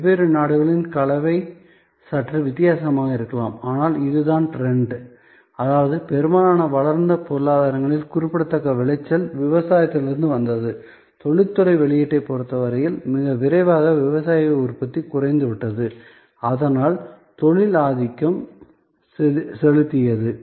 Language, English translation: Tamil, In different countries the composition maybe slightly different, but this is the trend; that means, in most developed economies a significant output came from agriculture, very rapidly agricultural output with respect to industry output diminished, so industry dominated